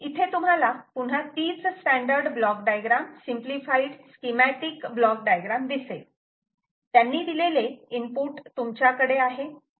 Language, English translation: Marathi, ah, you will see that again, it is the same standard diagram, the block diagram, simplified schematic block diagram they give you you can have input coming from